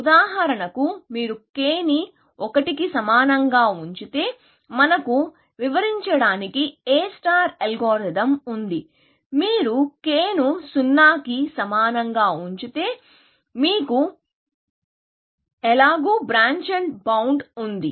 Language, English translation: Telugu, If you put k equal to 1, then we have the A star algorithm to just describe, if you put k equal to 0, for example, then you have, simply, branch and bound